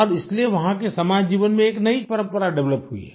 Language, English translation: Hindi, Now that is why, a new tradition has developed in the social life there